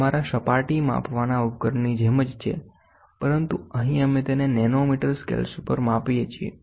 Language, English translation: Gujarati, With it is just like your surface measuring device, but here we measure it at nanometre scales